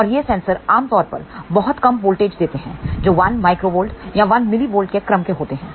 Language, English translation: Hindi, And these sensors generally give very small voltage that could be of the order of 1 microvolt or 1 millivolt